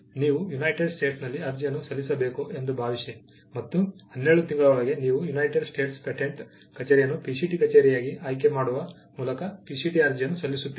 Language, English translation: Kannada, Assume that you have to file an application in the United States, and within 12 months you file a PCT application choosing United States patent office as the PCT office